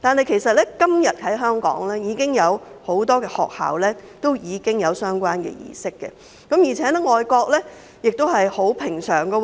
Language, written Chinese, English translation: Cantonese, 其實，今天香港已經有很多學校進行相關的儀式，而且這在外國亦是平常事。, As a matter of fact nowadays relevant ceremonies have been held in many schools in Hong Kong and are also commonplace in foreign countries